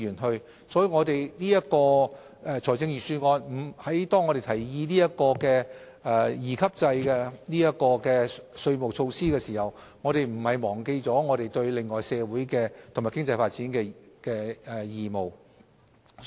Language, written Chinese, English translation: Cantonese, 因此，當我們就財政預算案提議引入利得稅兩級制稅務措施的同時，亦並沒有忘記對社會和經濟發展的其他義務。, As such when we introduced the two - tiered profits tax rates regime in the Budget we have not neglected our other obligations to society and economic development